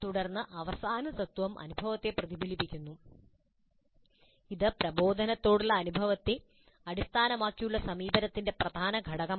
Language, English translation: Malayalam, Then the last principle is reflecting on the experience, a key, key element of experience based approach to instruction